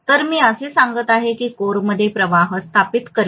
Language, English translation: Marathi, So I am going to say that to establish a flux in the core, right